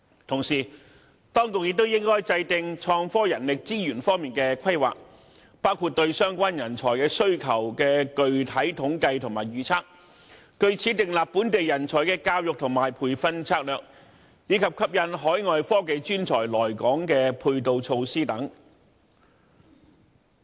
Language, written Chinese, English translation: Cantonese, 同時，當局也應該制訂創科人力資源方面的規劃，包括對相關人才需求的具體統計和預測，據此訂立本地人才的教育和培訓策略，以及吸引海外科技專才來港的配套措施等。, At the same time the authorities should make innovation and technology manpower planning such as compiling specific statistics and forecasts on the relevant manpower demand formulating education and training strategies for local talent on this basis as well as providing measures to attract overseas technological professionals to Hong Kong